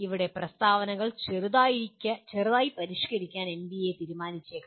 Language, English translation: Malayalam, NBA may decide to slightly modify the statements here